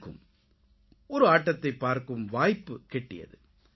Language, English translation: Tamil, I also got an opportunity to go and watch a match